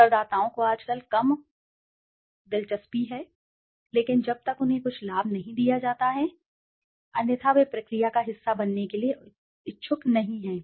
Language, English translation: Hindi, The respondents are less and less interested nowadays but unless they are given some benefit otherwise they are not interested to be a part of the process